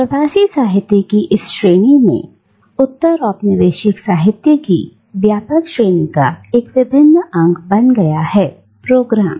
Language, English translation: Hindi, And this category of diasporic literature has come to form an integral part of the broader category of postcolonial literature